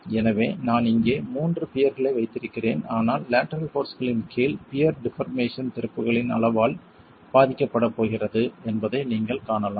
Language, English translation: Tamil, So, I have three piers here but you can see that the deformation of the pier under lateral forces is going to be affected by the size of the openings